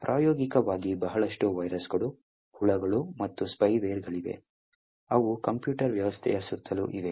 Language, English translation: Kannada, In practice there are a lot of viruses, worms and spyware which are around the computer system